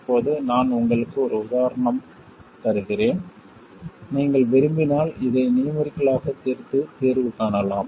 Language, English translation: Tamil, Now, I will just give you an illustration if you want, you can solve for this numerically and find the solution